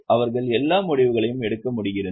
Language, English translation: Tamil, They are able to take all the decisions